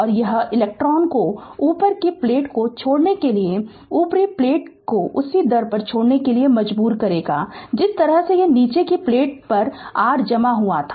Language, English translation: Hindi, And this will force the electrons to leave the upper plate to leave the upper plate the at the same rate the way it was accumulated at your that the bottom plate right